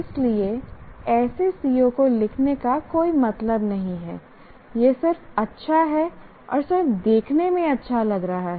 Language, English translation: Hindi, So, there is no point in writing such a C O, just because it is good and looks good